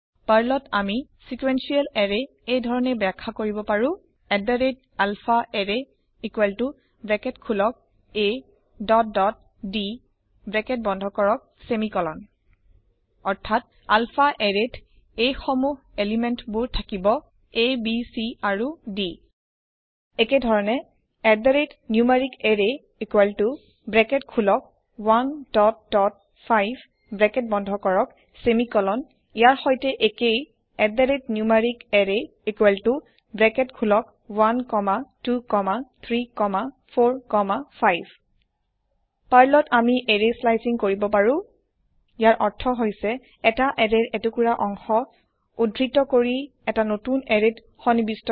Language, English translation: Assamese, In Perl, we can declare a sequential array as @alphaArray = open bracket a dot dot d close bracket semicolon i.e alphaArray will contain elements a, b, c and d Similarly, @numericArray equal to open bracket 1 dot dot 5 close bracket semicolon is same as @numericArray equal to open bracket 1 comma 2 comma 3 comma 4 comma 5 Perl also provides array slicing